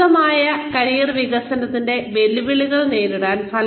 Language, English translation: Malayalam, Meeting the challenges of effective career development